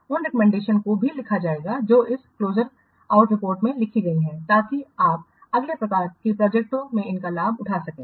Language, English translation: Hindi, Those recommendations also will be what written in this close out report so that you can get benefit of these in the next similar types of projects